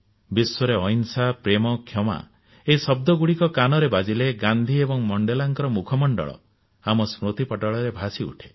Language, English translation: Odia, Whenever we hear the words nonviolence, love and forgiveness, the inspiring faces of Gandhi and Mandela appear before us